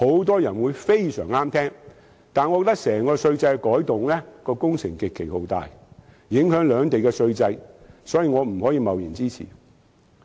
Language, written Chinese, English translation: Cantonese, 但是，我覺得由此而來稅制的改動工程極其浩大，影響兩地的整套稅制，所以不能貿然支持。, But I think the reform of the tax regime associated with it will be extremely drastic and affect the entire tax regimes of both places . Therefore I cannot give it my support casually